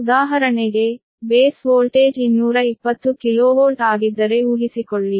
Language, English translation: Kannada, for example, suppose if base voltage is two, twenty k v, right